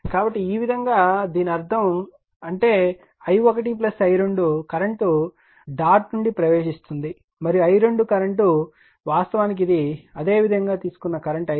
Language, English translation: Telugu, So, this way I mean this; that means, i 1 plus i 2 current entering into the dot and this i 2 current actually it is your this is the current i 2 we have taken like this